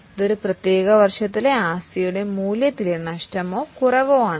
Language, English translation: Malayalam, This is a loss or reduction in the value of asset in a particular year